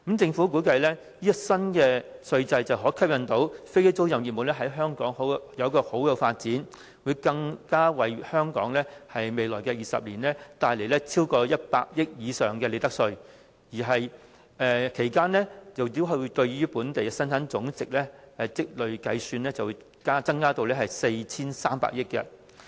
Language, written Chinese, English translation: Cantonese, 政府估計這項新稅制可吸引飛機租賃業務在香港有良好的發展，更會為香港未來20年帶來超過100億元以上的利得稅，其間計算對於本地的累積增加生產總值逾 4,300 億元。, The Government estimates that the new tax regime will attract aircraft leasing business to Hong Kong and fosters its sound development here . Besides the business will generate more than 10 billion of profits tax to Hong Kong over the next 20 years and a cumulative Gross Domestic Product value added of over 430 billion over that period